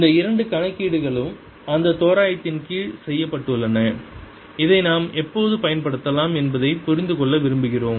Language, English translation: Tamil, these two calculations have been done under that approximation and we want to understand when we can apply this